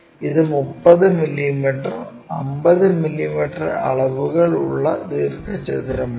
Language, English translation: Malayalam, It is a 30 mm by 50 mm rectangle